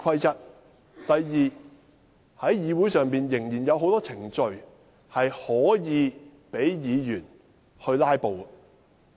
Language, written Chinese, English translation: Cantonese, 第二，議會仍有很多程序可供議員"拉布"。, Second there are still many procedures on which Members can filibuster